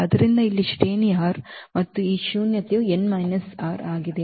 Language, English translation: Kannada, So, here the rank is r and this nullity is n minus r